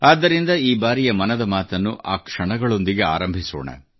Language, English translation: Kannada, Let us hence commence Mann Ki Baat this time, with those very moments